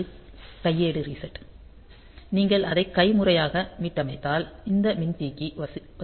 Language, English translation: Tamil, So, this is the manual reset, so if you manually reset it then this capacitor will get charged